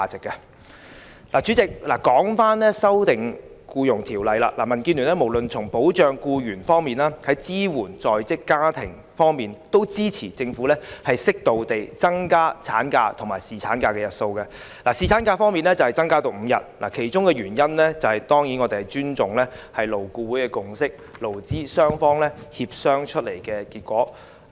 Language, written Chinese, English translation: Cantonese, 代理主席，說回《條例草案》，民主建港協進聯盟無論是從保障僱員或支援在職家庭方面，均支持政府適度增加產假及侍產假的日數，例如把侍產假增至5天的其中一個原因，是我們尊重勞工顧問委員會的共識，這是經勞資雙方協商的結果。, The Democratic Alliance for the Betterment and Progress of Hong Kong DAB supports the Government to appropriately increase the duration of maternity leave and paternity leave to protect employees and support working families . One of the reasons why we support increasing the paternity leave duration to five days is that we respect the consensus reached by the Labour Advisory Board LAB . It is the result achieved through negotiation between employers and employees